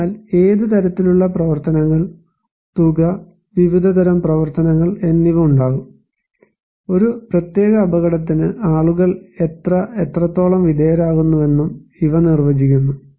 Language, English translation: Malayalam, So what kind of activities, amount and type of activities are going so, these also defined that how many and what extent people are exposed to a particular hazard